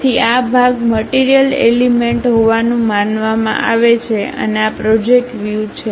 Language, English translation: Gujarati, So, this part supposed to be material element and these are projected views